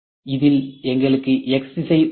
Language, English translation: Tamil, In this, we have X direction